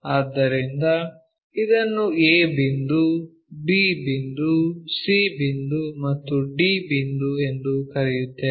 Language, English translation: Kannada, So, let us call this is point A and this is point B and this is point C and this is point D